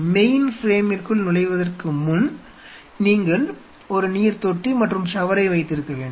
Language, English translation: Tamil, Before you enter to the mainframe which is you wanted to have a sink and a shower